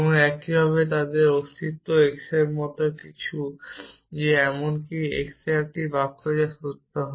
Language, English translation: Bengali, existence x such that even x is a sentences which would be true